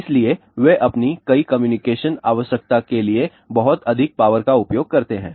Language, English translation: Hindi, So, they do use a lot of high power for many of their communication requirement